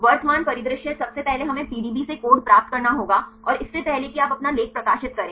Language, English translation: Hindi, The current scenario first we have to get the code from the PDB before you publish your article